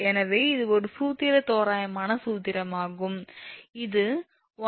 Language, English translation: Tamil, So, this is one formula approximate formula and this one we got that your 152